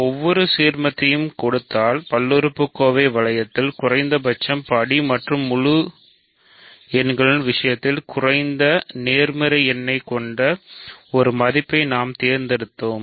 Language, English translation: Tamil, So, given any ideal we picked an element with a least degree in the polynomial ring and least positive number in the case of integers